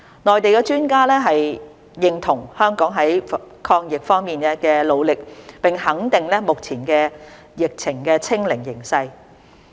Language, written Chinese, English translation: Cantonese, 內地專家認同香港在抗疫方面的努力，並肯定目前疫情"清零"的形勢。, Mainland experts agreed with Hong Kongs determination in fighting the epidemic and reaffirmed the citys present situation of zero local infections